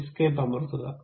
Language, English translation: Malayalam, Then press escape